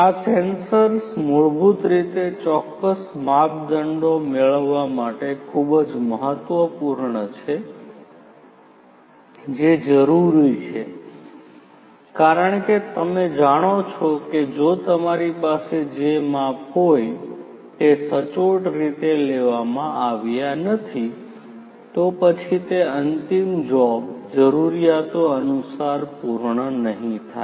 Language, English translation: Gujarati, So, these sensors basically are very important in order to get the specific measurements that are required, because you know if you do not have accurate measurements that are done then what will happen is the final job is not going to be perfect as per the requirements